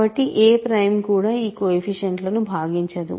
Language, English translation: Telugu, So, certainly no prime divides the coefficients